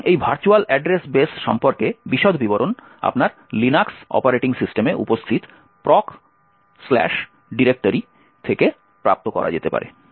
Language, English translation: Bengali, So, details about this virtual address base can be obtained from the proc directory present in your Linux operating systems